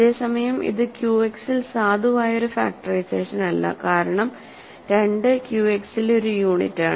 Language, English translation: Malayalam, Whereas, this is not a valid factorization in Q X because 2 is a unit in Q X